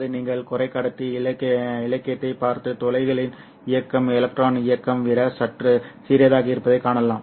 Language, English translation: Tamil, And it is you can look at the semiconductor literature and find that the mobility of the holes is slightly smaller than the mobility of the electron